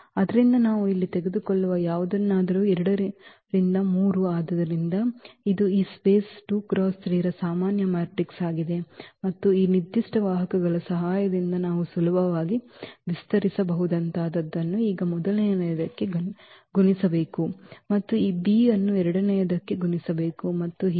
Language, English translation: Kannada, So, anything we take here for example, 2 by 3 so, this is a general matrix from this space 2 by 3 and with the help of this given vectors we can easily expand in terms of like a should be multiplied to the first one now and this b is should be multiplied to the second one and so on